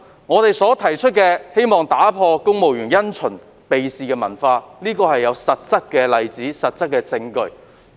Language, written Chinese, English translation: Cantonese, 我們所提出的建議，旨在打破公務員因循避事的文化，這種文化是有實質例子和證據支持的。, Our proposals seek to break the civil service culture marked by a rigid adherence to the established practice and an avoidance of responsibility . The presence of such a culture is substantiated with concrete examples and evidence